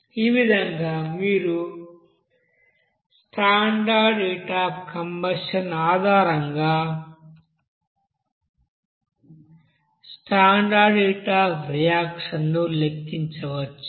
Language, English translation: Telugu, So in this way you can calculate what will be the standard heat of reaction based on the standard heat of combustion, okay